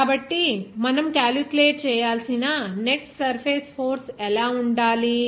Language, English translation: Telugu, So, what should be the net surface force that you have to calculate